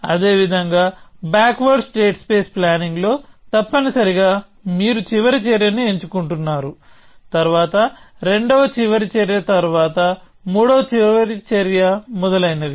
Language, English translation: Telugu, Likewise in backward state space planning essentially; you are choosing the last action, then the second last action then the third last action and so on essentially